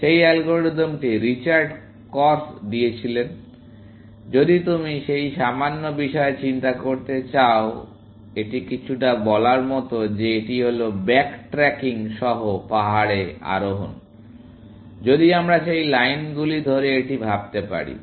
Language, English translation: Bengali, That algorithm was also given by Richard Korf, may be, if you want to think about that little bit, essentially, it is a little bit like saying, that it is hill climbing with back tracking, if we can think of it along those lines